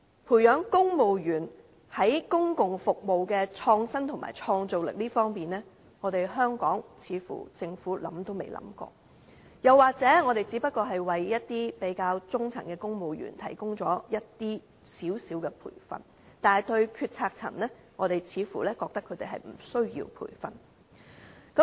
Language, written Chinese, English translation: Cantonese, 培養公務員在公共服務的創新和創造力方面，香港政府似乎想也未想過，或者我們只為中層公務員提供少許培訓，但對於決策層，我們似乎覺得他們無須培訓。, Regarding the nurturing of civil servants innovativeness and creativity in public service the Hong Kong Government seems like it has never thought of this before . We may have offered a bit of training to middle ranking civil servants but considering the management it is like they do not need any training at all